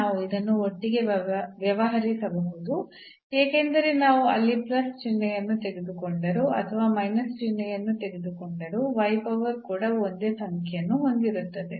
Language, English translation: Kannada, So, we can deal this together because, so whether we take the plus sign there or the minus sign the y power even will have the same number